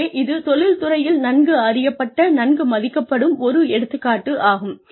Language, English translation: Tamil, So, people, this is an example, that is well respected, well known in the industry